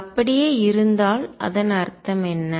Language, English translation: Tamil, And if it is conserved, what does it mean